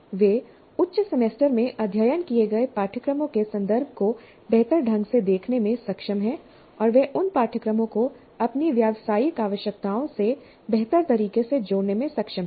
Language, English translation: Hindi, They're able to better see the context of the course studied higher semesters and they are able to relate those courses to their professional requirements in a better fashion